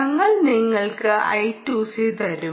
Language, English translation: Malayalam, we will give you i to c